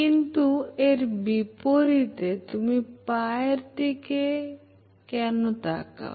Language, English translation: Bengali, But contrary to this belief, you should focus on the foot why